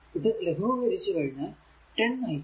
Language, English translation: Malayalam, After solving i 3 is equal to 1